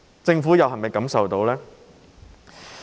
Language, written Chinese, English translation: Cantonese, 政府能否感受到呢？, Can the Government feel this?